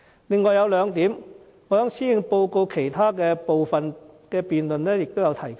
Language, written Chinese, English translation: Cantonese, 此外，有兩點我在施政報告其他辯論環節中也有提及。, Also I want to raise two more points which I already discussed in other debate sessions on the Policy Address